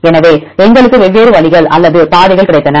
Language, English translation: Tamil, So, we got different ways or pathways